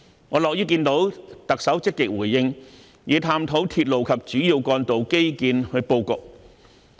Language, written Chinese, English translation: Cantonese, 我樂於看到特首積極回應與探討鐵路及主要幹道的基建布局。, I am pleased to note that the Chief Executive has actively responded to and explored the layout of railway and major road infrastructure